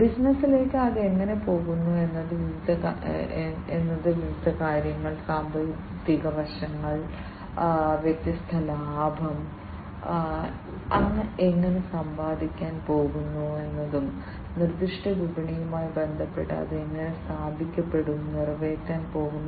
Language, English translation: Malayalam, And how it is going to the business is going to be positioned with respect to the different finances, the financial aspects, how it is going to earn the different profits, and how it is going to be positioned with respect to the specific marketplace that it is going to cater to